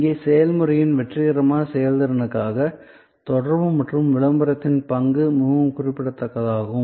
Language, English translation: Tamil, Here, also for successful performance of the process, the role of communication and promotion is very significant